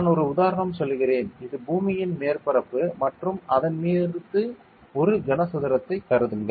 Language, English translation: Tamil, I am just giving an example; this is the surface of the earth and consider a cuboid over like this